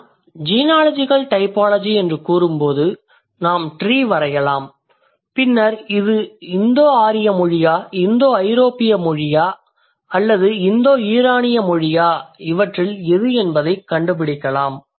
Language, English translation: Tamil, So, I'm talking about when I say genealogical typology, we can draw the tree and then we can find out, okay, if this is Indo Aryan language, this is Indo European language, or for that say Indo Iranian language, there must be some kind of genealogical connection